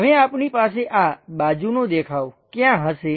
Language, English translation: Gujarati, Now, where exactly we have this side view